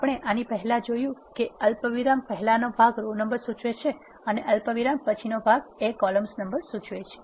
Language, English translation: Gujarati, As we have seen earlier the part before the comma should refer to the row number and the part after the comma should refer to the column number